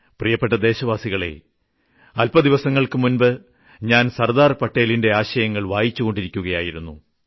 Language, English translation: Malayalam, My dear countrymen, I was trying to understand the thought process of Sardar Patel a few days ago when some of his ideas grabbed my attention